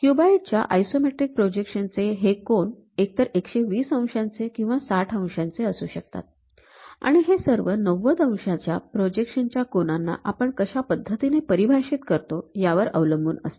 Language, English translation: Marathi, The angles in the isometric projection of the cube are either 120 degrees or 60 degrees based on how we are defining and all are projections of 90 degrees angles